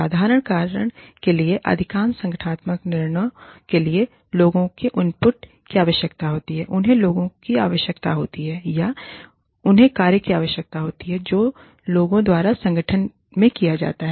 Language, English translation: Hindi, For the simple reason that, most of the organizational decisions, require the input of people, they require people, or they require the work, that is done by the people, in the organization